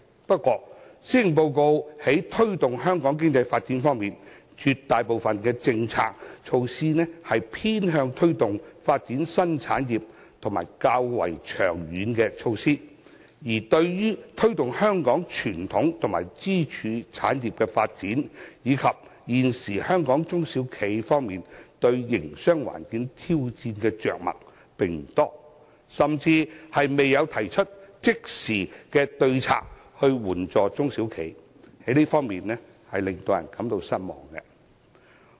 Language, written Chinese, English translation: Cantonese, 不過，在推動香港經濟發展方面，施政報告中絕大部分的政策措施偏向推動發展新產業，時效也較為長遠，而對於推動香港傳統及支柱產業發展，以及幫助香港中小企現時面對營商環境挑戰的着墨不多，甚至並未提出即時的對策來援助中小企，令人感到失望。, However regarding promoting Hong Kongs economic development the Policy Address focuses most of its policy measures on developing new industries in a longer time frame . There are very few measures on promoting the development of our traditional and pillar industries or on helping small and medium enterprises SMEs in Hong Kong to tide over the challenges in the present business environment and no immediate measures is proposed to assist SMEs . In this regard it is disappointing